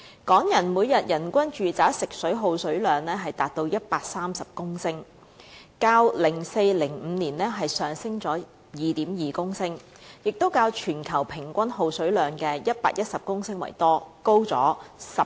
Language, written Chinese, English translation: Cantonese, 港人的每天人均住宅食水耗水量達到130公升，較 2004-2005 年度上升了 2.2 公升，亦較全球平均耗水量的110公升為多，高出 18%。, The daily domestic water consumption of the Hong Kong people reaches 130 litres representing an increase of 2.2 litres when compared with 2004 - 2005 . It is also higher than the global daily average water consumption of 110 litres by 18 %